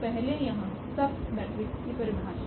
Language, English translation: Hindi, So, first the definition here of the submatrix